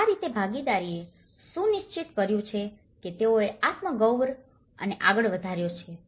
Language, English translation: Gujarati, And that is how the participation have ensured that they have taken the self esteem forward